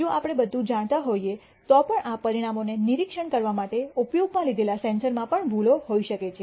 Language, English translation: Gujarati, Even if we know everything the sensor that we use for observing these outcomes may themselves contain errors